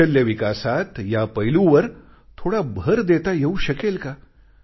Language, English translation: Marathi, Can't a little emphasis be given on this aspect in Skill development